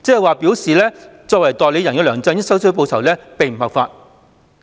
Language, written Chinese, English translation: Cantonese, 換言之，作為代理人的梁振英收取報酬並不合法。, In other words LEUNG Chun - yings acceptance of the reward in his capacity as an agent was not lawful